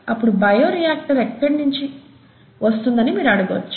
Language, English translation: Telugu, And you would go, ‘where is this bioreactor coming from’